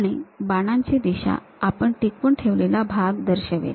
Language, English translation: Marathi, So, the direction of arrow represents the retaining portion